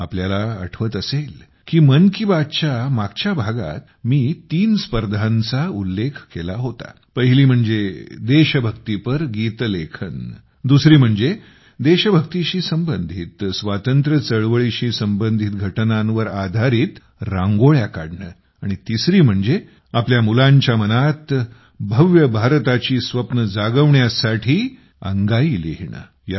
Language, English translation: Marathi, You might be aware…in the last episodes of Mann Ki Baat, I had referred to three competitions one was on writing patriotic songs; one on drawing Rangolis on events connected with patriotic fervor and the Freedom movement and one on scripting lullabies that nurture dreams of a grand India in the minds of our children